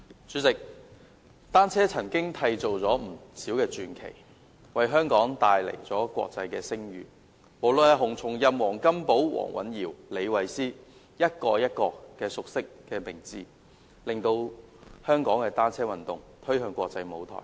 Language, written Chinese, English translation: Cantonese, 主席，單車曾經締造了不少傳奇，為香港帶來國際聲譽，無論是洪松蔭、黃金寶、黃蘊瑤或李慧詩，一個一個熟悉的名字，將香港的單車運動推向國際舞台。, President cycling has created many legends and brought international fame to Hong Kong . Be it HUNG Chung - yam WONG Kam - po Jamie WONG or Sarah LEE these familiar names have ushered Hong Kongs cycling sport onto the international stage